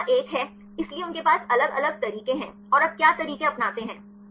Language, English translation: Hindi, Now, the next one is; so they have different, different methods and what are the methods you take